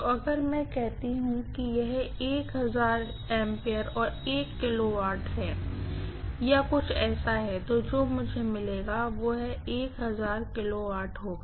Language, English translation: Hindi, So, if I say this is 1000 ampere and 1 kilovolt or something like that, what I get here will be 1000 kilovolt